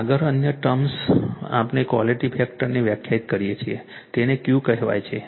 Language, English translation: Gujarati, Next another term we define the quality factor it is called Q right